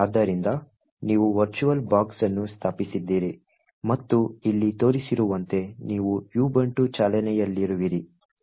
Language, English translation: Kannada, So, I hope by now that you have actually install the virtual box and you actually have this Ubuntu running as shown over here